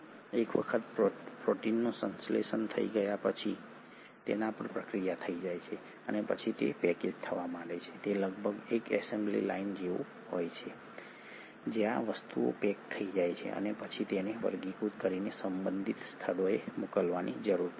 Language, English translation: Gujarati, Once the protein has been synthesised, processed, it kind of starts getting packaged, it is almost like an assembly line where things kind of get packaged and then they need to be sorted and sent to the respective destinations